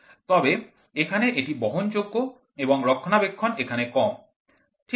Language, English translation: Bengali, But here it was portable and maintenance were less here, ok